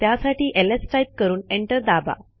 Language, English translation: Marathi, So lets type ls and press enter